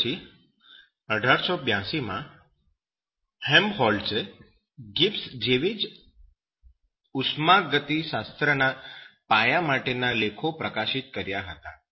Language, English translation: Gujarati, After that 1882, Helmholtz published a founding thermodynamics paper similar to Gibbs